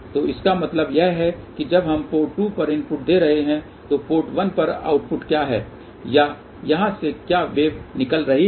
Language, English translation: Hindi, So, this means that when we are giving input at port 2 what is the output at port 1 or what is the wave going out here